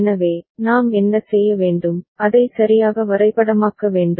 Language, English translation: Tamil, So, what we need to do, we need to just map it right